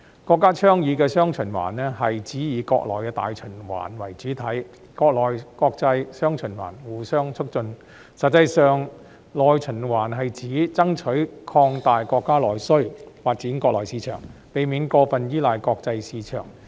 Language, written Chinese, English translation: Cantonese, 國家倡議的"雙循環"，是指以國內大循環為主體、國內國際"雙循環"互相促進，實際上內循環是指爭取擴大國家內需，發展國內市場，避免過分依賴國際市場。, The dual circulation advocated by the country means taking the domestic market as the mainstay while enabling domestic and foreign markets to interact positively with each other . In fact domestic circulation means striving for the expansion of the countrys domestic demand and the development of the domestic market so as to avoid over reliance on the international market